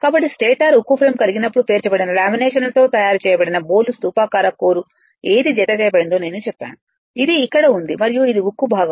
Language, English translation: Telugu, So, though stator consist of a steel frame; I told which encloses the hollow cylindrical code made up of stacked laminations right, here it is here it is and this is your steel part right